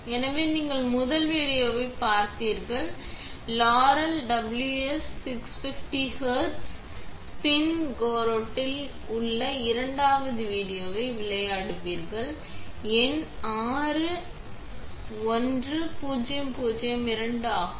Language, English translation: Tamil, So, you have seen the first video and let it me play the second video which is on Laurell WS 650 HZ Spin Coater, the number is 61002